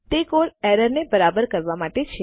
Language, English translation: Gujarati, That code is to fix the error